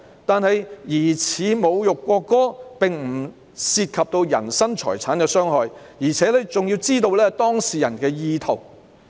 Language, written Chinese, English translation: Cantonese, 可是，疑似侮辱國歌並不涉及人身財產的傷害，而且要知道當事人的意圖。, Yet suspected insult to the national anthem does not involve such harm or damage . Moreover knowledge of the intent of the person in question is required